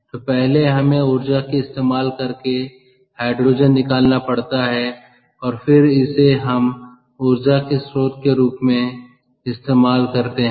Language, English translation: Hindi, so we have to spend energy first to get hydrogen and then use it as an energy source